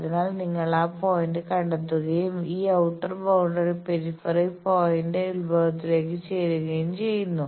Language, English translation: Malayalam, So, you find that point and join this outer boundary peripheral point to origin